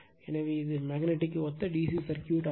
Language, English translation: Tamil, So, it is a DC circuit analogous of magnetic system right